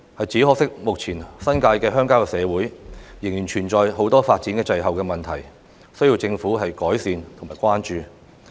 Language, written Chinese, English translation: Cantonese, 只可惜，目前新界的鄉郊社會仍然存在很多發展滯後的問題，需要政府改善及關注。, Unfortunately there are still many backward developments in the rural areas in the New Territories now which should be improved and cared by the Government